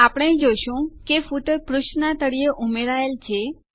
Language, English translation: Gujarati, We see that a footer is added at the bottom of the page